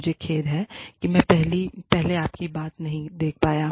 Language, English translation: Hindi, I am sorry, i was not able to see your point of view, earlier